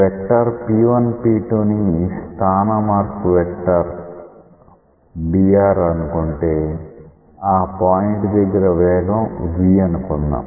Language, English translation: Telugu, The vector P1P2 let us say we denote it by a change in position vector dr and let us say that V is the velocity at that particular point